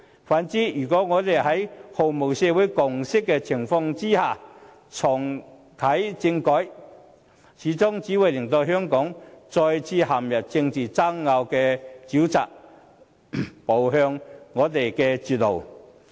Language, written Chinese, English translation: Cantonese, 反之，如果我們在毫無社會共識的情況下重啟政改，最終只會令香港再次陷入政治爭拗的沼澤，步向絕路。, On the other hand if constitutional reform is reactivated in the absence of social consensus Hong Kong will only get stuck at political controversies once again with no way out